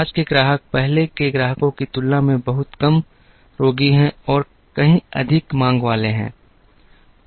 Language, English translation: Hindi, Today’s customers are far less patient and far more demanding than customers of the past